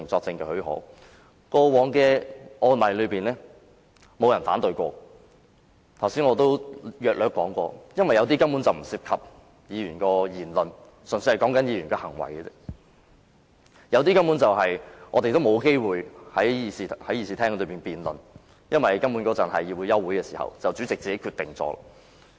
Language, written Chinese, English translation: Cantonese, 正如我剛才約略提及，原因是有些申請根本不涉及議員的言論，只涉及議員的行為，另有一些申請我們根本沒有機會在議事廳內辯論，因為當局是在休會期間提出申請，主席便作出決定。, As I explained briefly just now one reason is that some applications were purely targeted at the conduct rather than any utterances of the Members involved . Speaking of the other applications we utterly did not have any opportunity to hold a debate in this Chamber . The reason is that the President already made the decision as the authorities put forth the applications during summer recess